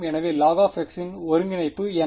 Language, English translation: Tamil, So, what is the integral of log x